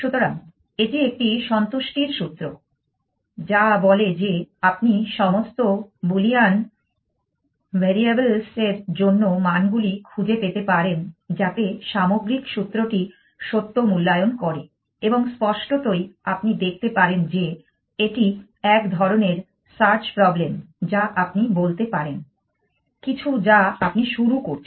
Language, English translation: Bengali, So, that is a satisfiability formula, which says that can you find values for all the Boolean variables such that the overall formula evaluates it true and obviously you can see that this is a kind of search problem you can say something like you start